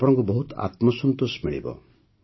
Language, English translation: Odia, You will feel immense satisfaction